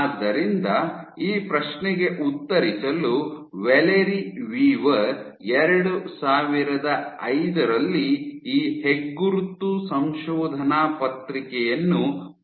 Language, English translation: Kannada, So, to answer this question Valerie Weaver, so she published this landmark paper in 2005